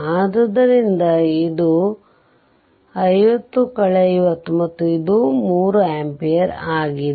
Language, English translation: Kannada, So, it is 50 50 and this is 3 ampere